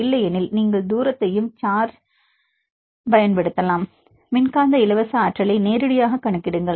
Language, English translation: Tamil, Or you can directly calculate how to calculate directly the electrostatic free energy